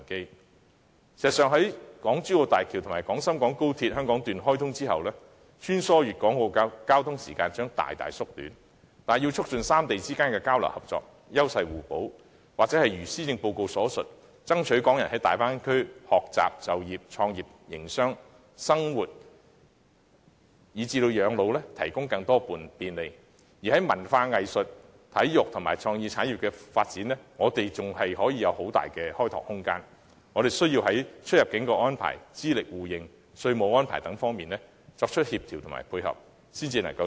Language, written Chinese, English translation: Cantonese, 事實上，在港珠澳大橋及廣深港高鐵香港段開通後，穿梭粵港澳的交通時間將大大縮短，但要促進三地之間的交流合作及優勢互補，或是一如施政報告所述，要爭取港人在大灣區學習、就業、創業、營商、生活及養老提供更多便利也好，我們在文化、藝術、體育和創意產業的發展上，仍具相當大的開拓空間，但需在出入境安排、資歷互認和稅務安排等方面作出協調和配合，才可以取得最大效益。, In fact after the commissioning of the Hong Kong - Zhuhai - Macao Bridge and the Hong Kong section of the Guangzhou - Shenzhen - Hong Kong Express Rail Link the time required for travelling between Guangzhou Hong Kong and Macao will be greatly shortened . However to enhance exchanges and cooperation among the three places for the sake of complementarity and mutual benefits or to strive to secure more convenience for Hong Kong people in respect of learning employment starting up business running business living and retiring in the Bay Area as stated in the Policy Address we still need to make the best possible coordination to provide support in areas of exit and entry arrangements mutual recognition of qualifications and taxation even though there is considerable room for our development in areas of arts sports and creative industries